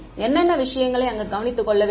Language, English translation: Tamil, What is the thing to be taken care of over there